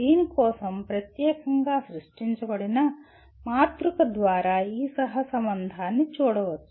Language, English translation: Telugu, We will presently see this correlation can be seen through a matrix specifically created for this